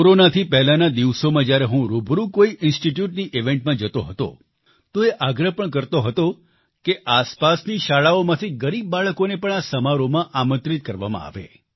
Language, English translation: Gujarati, Before Corona when I used to go for a face to face event at any institution, I would urge that poor students from nearby schools to be invited to the function